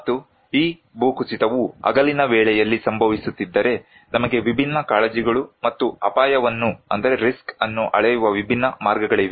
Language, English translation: Kannada, And if this landslide is happening at day time, we have different concerns and different way of measuring risk